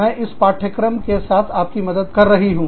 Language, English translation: Hindi, I have been helping you, with this course